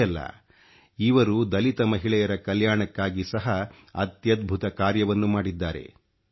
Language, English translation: Kannada, Not only this, she has done unprecedented work for the welfare of Dalit women too